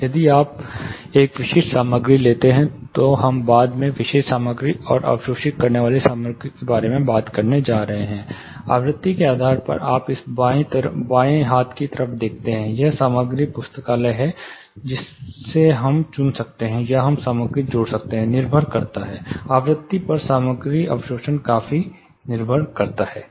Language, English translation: Hindi, We are going to talk about absorbing materials later typical material, depending on frequency you see in this left hand corner, there is a material library from which we can choose, or we can add materials, depending on frequency the materials absorption considerably varies